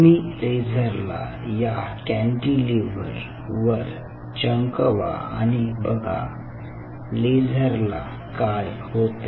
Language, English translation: Marathi, ok, you shine a laser on this cantilever and what will happen to this laser